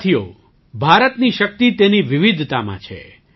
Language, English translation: Gujarati, Friends, India's strength lies in its diversity